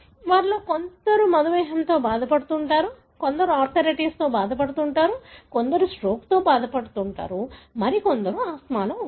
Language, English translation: Telugu, Some of them may be involved in diabetes, some of them involved in arthritis, some of them involved in stroke, some of them in asthma